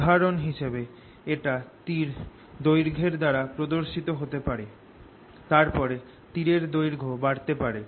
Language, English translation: Bengali, for example, it could be shown by the length of the arrow, this length